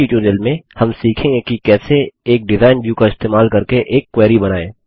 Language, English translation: Hindi, In this tutorial, we will learn how to Create a query by using the Design View